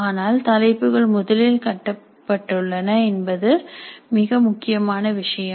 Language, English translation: Tamil, But most important point of the rubrics is that they are first constructed